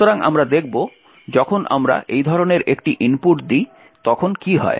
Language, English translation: Bengali, So, we will see what happens when we give such an input